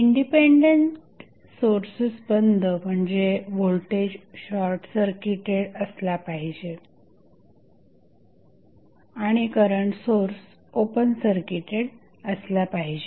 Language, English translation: Marathi, Independent Sources turned off means, the voltage source would be short circuited and the current source would be open circuit